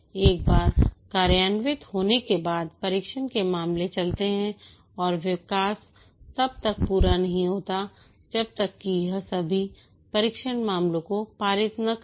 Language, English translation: Hindi, Once implemented run the test cases and the development is not complete until it passes all the test cases